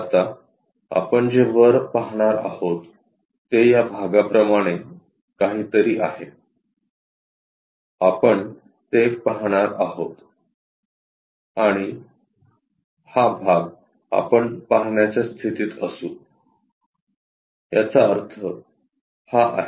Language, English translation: Marathi, Now, top what we are going to see is there is something like this part, we will see and this part, we will be in a position to see; that means, this one